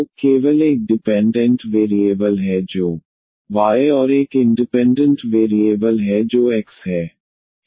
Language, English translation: Hindi, So, only one dependent variable that is y and one independent variable that is x